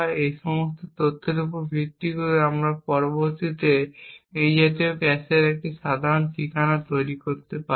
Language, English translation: Bengali, Based on all of this information we can next construct a typical address of such a cache